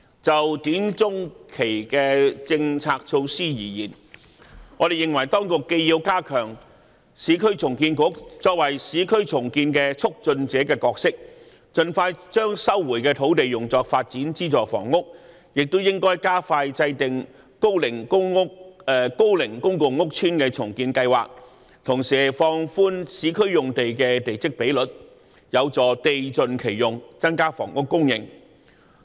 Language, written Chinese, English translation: Cantonese, 就短、中期政策措施而言，我們認為當局既要加強市區重建局作為市區重建的"促進者"角色，盡快將收回的土地用作發展資助房屋，也應加快制訂高齡公共屋邨重建計劃，同時放寬市區用地的地積比率，有助地盡其用，增加房屋供應。, Regarding policy initiatives in the short - to - medium term we hold that the authorities should enhance the role of the Urban Renewal Authority URA as a facilitator in urban redevelopment . The land resumed by URA can be used expeditiously for developing subsidized housing and to expedite the formulation of redevelopment plans for aged public housing estates while relaxing the plot ratios of urban sites can facilitate full utilization of land and increase housing supply